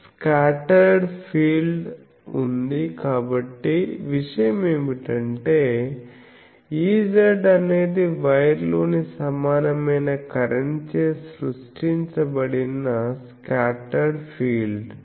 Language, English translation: Telugu, There is a scattered field, so the thing is E z is a scattered field created by the equivalent currents in the wire